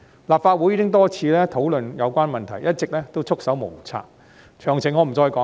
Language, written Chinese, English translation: Cantonese, 立法會已經多次討論有關問題，一直都束手無策，詳情我不再說了。, The Legislative Council has discussed the issue for many times yet remains clueless about it . However I am not going into the details again